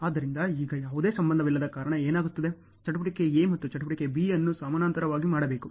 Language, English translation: Kannada, So, now, what happens since there is no relationship, activity A and activity B are to be done in parallel ok